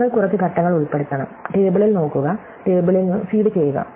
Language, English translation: Malayalam, You just have to insert a couple of steps saying, look up the table and feed the table, right